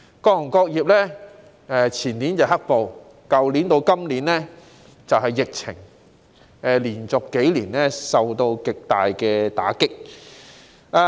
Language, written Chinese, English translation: Cantonese, 各行各業前年經歷"黑暴"，加上去年至今的疫情，連續數年遭受極大打擊。, The black - clad violence in the year before last coupled with the epidemic since last year has dealt a severe blow to various industries and trades for several years in a row